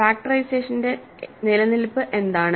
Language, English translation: Malayalam, What is the existence of the factorization